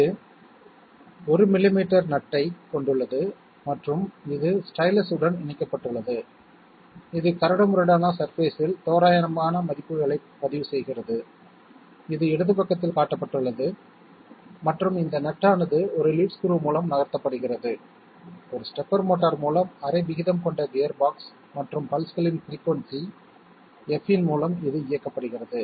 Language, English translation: Tamil, It has a nut of 1 millimetre pitch and it is connect to the stylus, which records rough values on a rough surface, which is shown on the left side and this nut is made to move by a lead screw, which is being operated by a stepper motor through a gear box of ration half and pulses of frequency f, they are being sent to the stepper motor to make this work